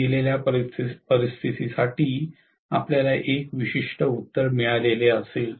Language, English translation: Marathi, For a given situation you will get one particular answer